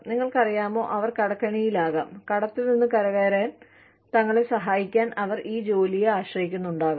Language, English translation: Malayalam, You know, they could be in debt, and they could be counting on this job, to help them, get out of debt